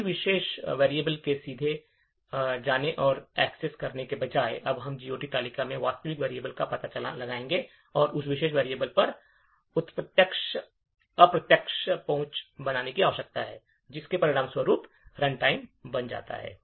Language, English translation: Hindi, Instead of directly going and accessing a particular variable, now we need to find out the actual variable from the GOT table and then make an indirect access to that particular variable, thus resulting in increased runtime